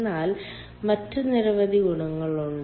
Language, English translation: Malayalam, but there are many other advantages